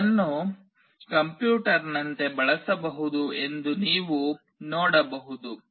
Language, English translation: Kannada, You can see that it can be used as a computer itself